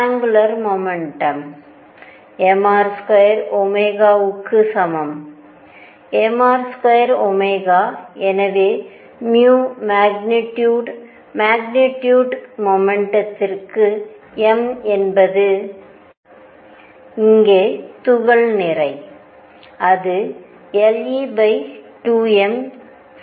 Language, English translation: Tamil, Angular momentum is equal to m R square omega and therefore, magnitude of mu for the magnetic moment m is the mass of the particle here, is equal to l e over 2 m